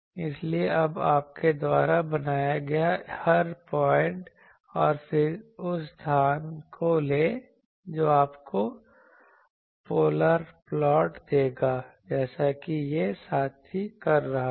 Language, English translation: Hindi, So, every point now you made, and then take a locus of that, that will give you the polar plot as this fellow is doing